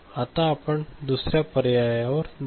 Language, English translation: Marathi, Now, we go to the other option